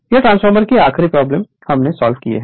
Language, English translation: Hindi, So, your the this is the last problem I think for the transformer